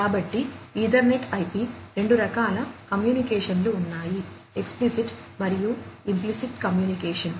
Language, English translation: Telugu, So, in EtherNet/IP there are two types of communications; explicit and implicit communication